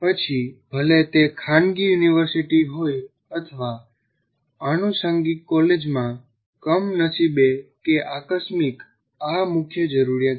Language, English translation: Gujarati, Whether it is a private university or in an affiliated college, you still have this unfortunately or incidentally is a major requirement